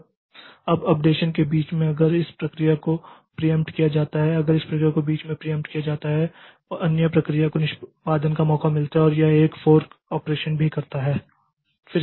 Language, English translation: Hindi, Now, in between the updateion if this process is preempted, if this process is preempted in between then another process gets a chance for execution and that also does a fork operation